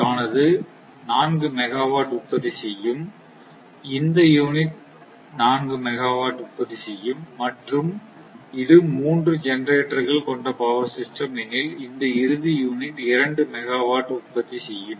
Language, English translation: Tamil, This unit will generate four megawatt, if it is a three unit system and this unit will generate two megawatt